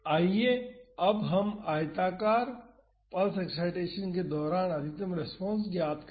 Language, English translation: Hindi, Now, let us find the maximum response during the rectangular pulse excitation